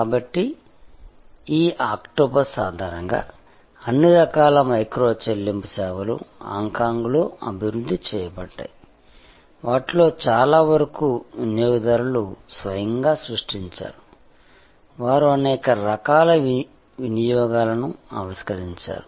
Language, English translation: Telugu, So, based on this octopus, all kinds of micro payment services were developed in Hong Kong, many of those were actually created by the users themselves, they innovated many different types of usages